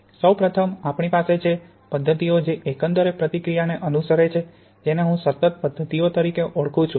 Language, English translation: Gujarati, We can first of all have methods that follow the overall reaction which I call continuous methods